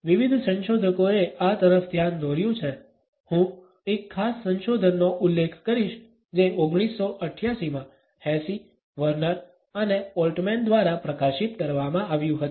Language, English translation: Gujarati, This has been pointed out by various researchers, I would refer to a particular research which was published in 1988 by Hesse, Werner and Altman